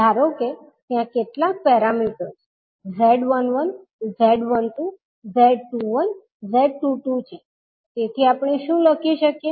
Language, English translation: Gujarati, Suppose, there are some parameters called Z11, Z12, Z21 and Z22, so what we can write